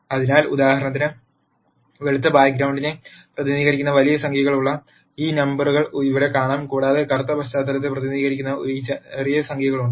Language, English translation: Malayalam, So, for example, here you see these numbers which are large numbers which represent white back ground and you have these small numbers which represent black background